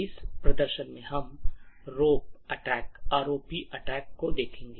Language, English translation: Hindi, In this demonstration we will looking at ROP attack